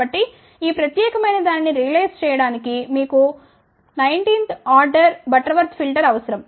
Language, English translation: Telugu, So, that means, to realize this particular thing you need a nineteenth order Butterworth filter